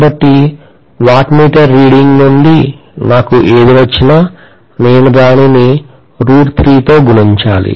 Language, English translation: Telugu, So whatever I get from the wattmeter reading, I have to multiply that by root 3